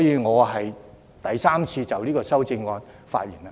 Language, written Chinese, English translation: Cantonese, 我第三次就這項修正案發言。, This is the third time that I speak on the amendment